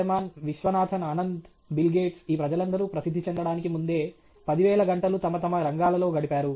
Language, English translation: Telugu, Rahman, Viswanathan Anand, Bill Gates all these people put in 10,000 hours in their respective fields before they became famous